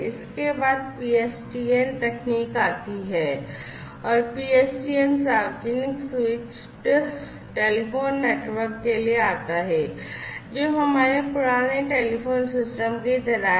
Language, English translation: Hindi, Next, comes the PSTN technology and PSTN basically stands for Public Switched Telephone Network, which is like our old telephone systems